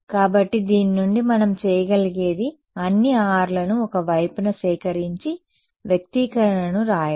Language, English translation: Telugu, So, from this all what we can do is gather all the R's on one side and write the expression